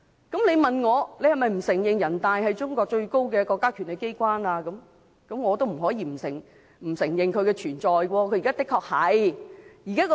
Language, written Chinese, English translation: Cantonese, 如果你問我，是否不承認人大常委會是中國最高的國家權力機關，我也不得不承認其存在，而現在的確是這樣。, If you ask me whether I admit that NPCSC is the highest authority of China I cannot deny this fact and that is the situation at present